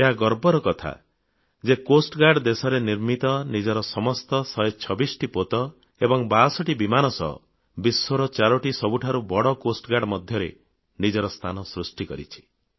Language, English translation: Odia, It is a matter of pride and honour that with its indigenously built 126 ships and 62 aircrafts, it has carved a coveted place for itself amongst the 4 biggest Coast Guards of the world